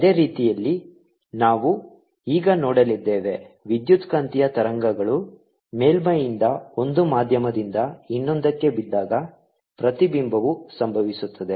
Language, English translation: Kannada, in a similar manner we are now going to see that when electromagnetic waves fall from on a surface, from one medium to the other, there is going to be reflection